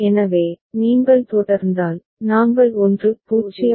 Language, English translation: Tamil, So, with this if you proceed, we will come to 1 0 1 right